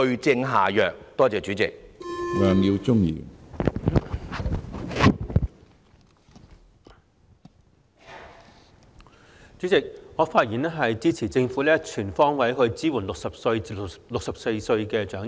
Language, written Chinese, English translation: Cantonese, 主席，我發言支持政府全方位支援60歲至64歲長者。, President I rise to speak in favour of the Governments support for elderly persons aged between 60 and 64 on all fronts